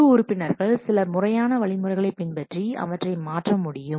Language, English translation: Tamil, The team members must follow some formal procedures to change this